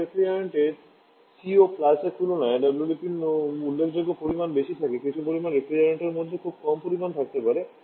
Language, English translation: Bengali, Certain refrigerants have significantly high of GWP compared to CO2 certain refrigerants may have a quite small